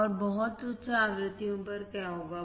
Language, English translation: Hindi, And what will happen at very high frequencies